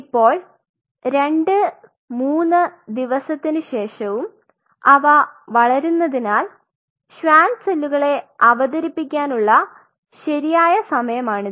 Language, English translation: Malayalam, Now, as they are growing after 2 3 days this is the right time to introduce the Schwann cells